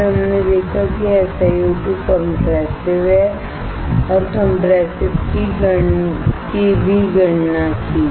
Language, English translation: Hindi, Then, we saw that SiO2 is compressive and also calculated the compressive